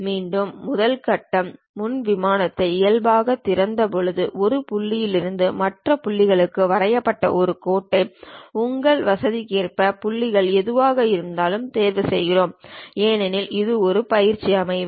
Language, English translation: Tamil, Again, the first step is after opening the front plane normal to it, we pick a Line draw from one point to other point at your convenience whatever the points because it is a practice session